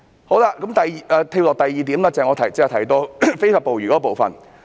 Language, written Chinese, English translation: Cantonese, 我現在跳到下一個要點，即我剛才提到非法捕魚的部分。, I now jump to the next point which is about illegal fishing that I have mentioned earlier